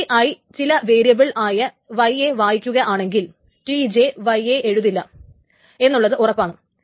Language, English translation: Malayalam, That means if t i read some variable y, that is guaranteed that t j has not written to y